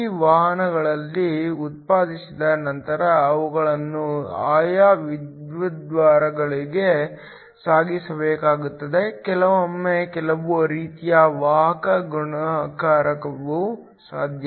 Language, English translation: Kannada, Once these carriers are generated they need to be transported to the respective electrodes sometimes some sort of carrier multiplication is also possible